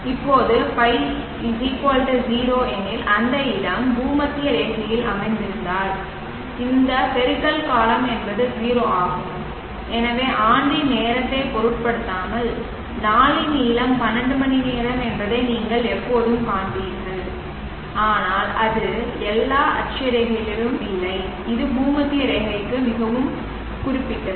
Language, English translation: Tamil, If I0 which if the place is located at the equator this product term is 0 and therefore you will always find the length of the day is 12 hours irrespective of the time of the year but it is not so at all latitudes it is very, very specific to the equator